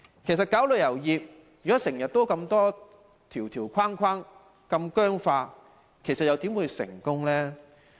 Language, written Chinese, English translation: Cantonese, 其實發展旅遊業，設立這麼多條條框框、如此僵化，又怎會成功？, How can we successfully develop the tourism industry with so many restrictions and rigid rules?